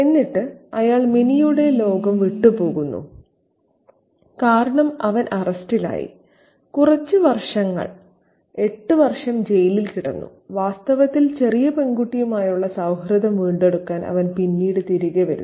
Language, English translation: Malayalam, And then he leaves the world of Minnie because he has been arrested and he has been put in jail for several years, eight years in fact, and then he comes back later to kind of reclaim the friendship with the little girl